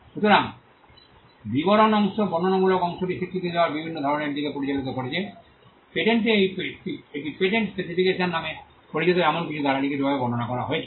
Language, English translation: Bengali, So, the description part has led to various forms of recognizing the descriptive part, in a patent it is described in writing by something called a patent specification